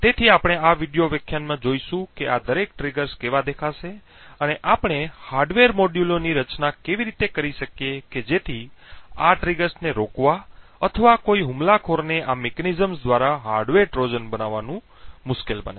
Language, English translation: Gujarati, So, what we will see in this particular video lecture is how each of these triggers will look and how we can design our hardware modules so as to prevent these triggers or make it difficult for an attacker to build hardware Trojans with this mechanisms